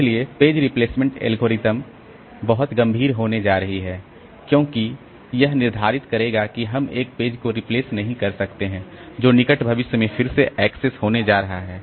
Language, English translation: Hindi, So, page replacement policy this is going to be very serious because that will determine that we are not doing a, we are not replacing a page which is going to be accessed again in the near future